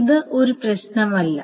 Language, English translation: Malayalam, That's the thing